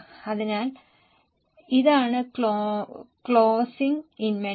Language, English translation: Malayalam, So, this is the closing inventory